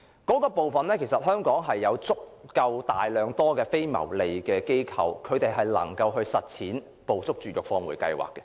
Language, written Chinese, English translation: Cantonese, 在這方面，香港其實有大量非牟利機構能夠實踐"捕捉、絕育、放回"計劃。, Actually many non - profit - making organizations in Hong Kong can implement the Trap - Neuter - return Programme in this respect